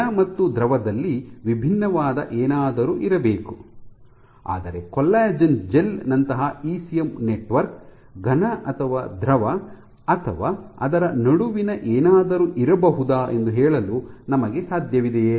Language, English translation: Kannada, So, there must be something which is different in the solid and the liquid, but can we say an ECM network like a collagen gel is a solid or a liquid or something in between